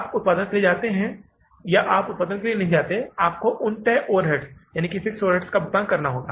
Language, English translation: Hindi, You go for the production, you don't go for the production, you have to pay for the fixed overheads